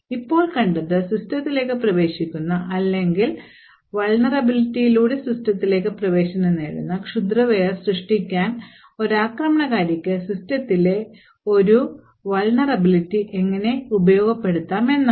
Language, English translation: Malayalam, So now what we have seen is that a vulnerability in a system can be utilised by an attacker to create malware which would enter into your system or gain access into your system through that particular vulnerability